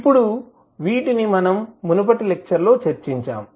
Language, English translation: Telugu, Now, these we have discussed in the previous class